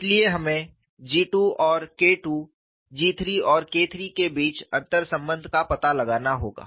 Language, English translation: Hindi, So, we have to find out the interrelationship between G 2 and K 2 G 3 and K 3